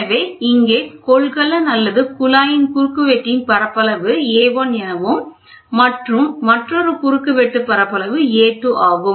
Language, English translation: Tamil, So, here the area of the cross section is A of the tube or the container, area of the cross section is A 2